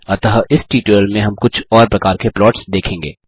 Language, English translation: Hindi, Hence in this tutorial we will be looking at some more kinds of plots